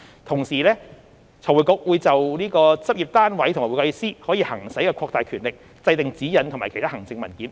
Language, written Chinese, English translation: Cantonese, 同時，財匯局會就對執業單位和會計師可行使的擴大權力，制訂指引和其他行政文件。, Meanwhile FRC will draw up guidelines and other administrative documents on the expanded powers which may be exercised over practice units and CPAs